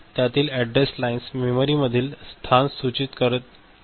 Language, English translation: Marathi, So, address lines so, these indicate a location in the memory ok